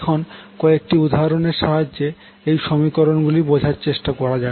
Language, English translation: Bengali, Now, let us understand these particular equations with the help of few examples